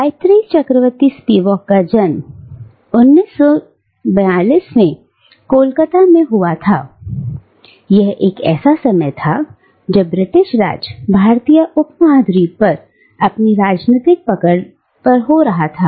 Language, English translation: Hindi, Gayatri Chakravorty Spivak was born in Calcutta in 1942 and it was a time when the British Raj, was fast losing its political grip over the Indian subcontinent